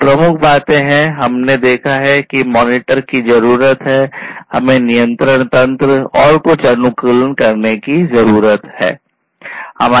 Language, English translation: Hindi, These are the key things that; we have seen we need to monitor, we need to have a control mechanism, and we need to have some optimization ok